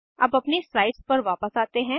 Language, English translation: Hindi, Let us move back to our slides